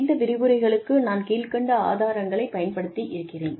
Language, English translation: Tamil, These are the sources, that I have used for these lectures